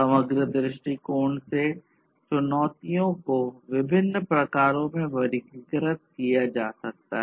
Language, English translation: Hindi, So, from a holistic viewpoint, the challenges can be classified into different types